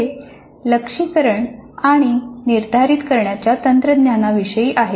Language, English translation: Marathi, This is about the technology for assessment and setting the targets